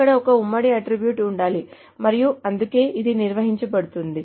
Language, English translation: Telugu, There has to be a common attribute and that is where it is defined